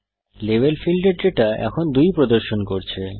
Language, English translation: Bengali, The Data of Level field now displays 2